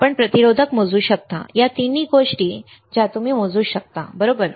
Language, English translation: Marathi, You can measure resistors, all three things you can measure, right